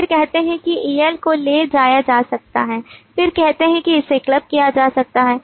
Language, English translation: Hindi, then say el can be carried over then it says it can be clubbed